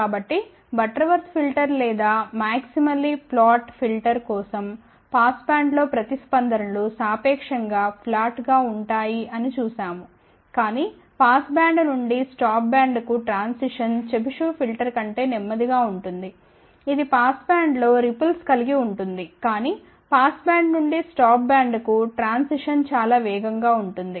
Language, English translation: Telugu, So, we had seen that for Butterworth filter or also known as maximally flat filter the responses relatively plat in the pass band , but the transition from pass band to stop band is relatively slower than the Chebyshev filter which has equi ripple in the pass band, but the transition from pass band to stop band is relatively faster